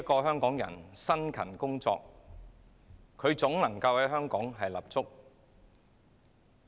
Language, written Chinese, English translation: Cantonese, 香港人只要辛勤工作，總能夠在香港立足。, Everyone who was willing to work hard here in Hong Kong could definitely secure a foothold in the territory